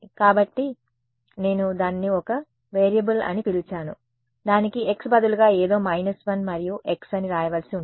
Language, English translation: Telugu, So, I called it one variable x instead of having to write something minus 1 and so x right so, right